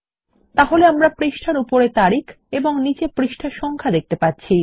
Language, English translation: Bengali, So we can see the Date at the top of the page and the page number at the bottom